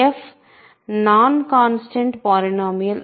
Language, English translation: Telugu, So, f is non constant polynomial